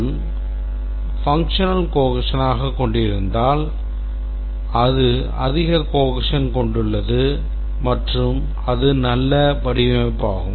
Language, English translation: Tamil, If it has functional cohesion, then it has high cohesion, it's a good design